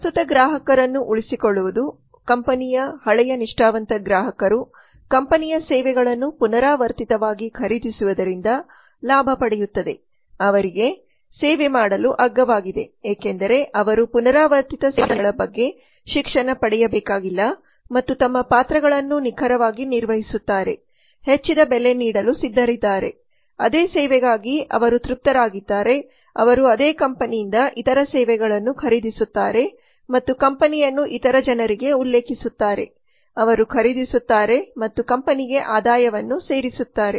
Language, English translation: Kannada, retaining current customers a company gains from old loyal customers as they purchase the services of the company repetitively are cheaper to serve as they do not have to be educated for repeated service deliveries and play their roles accurately are willing to pay a increased price for the same service as they are satisfied with it they purchase other services from the same company and refer the company to other people who in turn purchase from and add to the revenues of the company